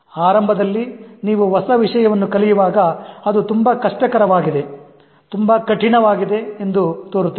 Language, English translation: Kannada, Initially, if you are approaching a new subject, it appears to be very difficult, very tough